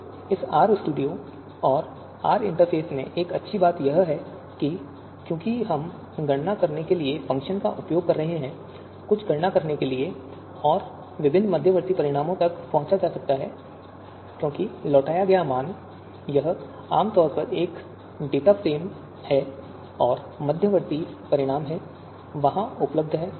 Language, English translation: Hindi, So one good thing in the this RStudio and R interface is in this R environment is that because we are using the functions to compute, to perform certain computations and different intermediate results can be accessed because the returned value, it it is typically a data frame and different you know intermediate results are available there